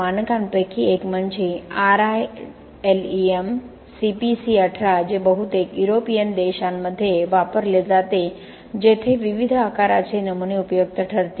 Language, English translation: Marathi, One among the standard is RILEM CPC 18 which is mostly used in the European countries where there will be different sizes of specimens will be useful